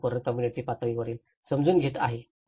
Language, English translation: Marathi, So, this whole understanding the community level understanding